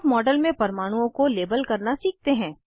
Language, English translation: Hindi, Let us learn to label the atoms in the model